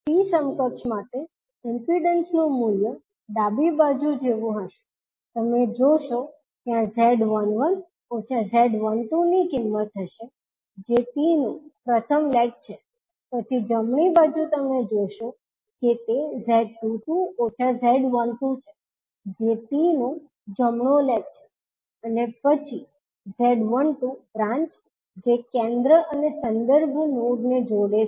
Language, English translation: Gujarati, So the values of impedances for T equivalent would be like in the left side you will see there will be the value of Z11 minus Z12 that is the first leg of T, then on the right you will see that is Z22 minus Z12 that is the right leg of the T and then the branch that is Z12, which is connecting the node which is at the centre and the reference node